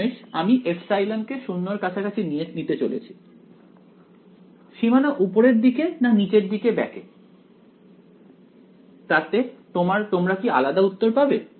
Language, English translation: Bengali, Finally, I am going to take epsilon tending to 0 whether the boundary bends downwards or upwards will you get different answers right